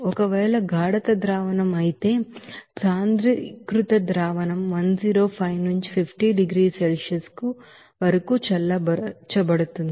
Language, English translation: Telugu, If the concentration solution, concentrated solution you can say is thus cooled from 105 to 50 degrees Celsius